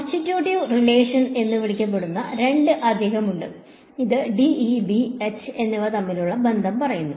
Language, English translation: Malayalam, There are two additional what are called constitutive relation which tell us the relation between D and E, B and H ok